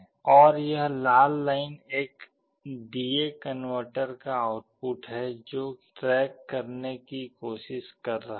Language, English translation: Hindi, And this red one is the output of the D/A converter which is trying to track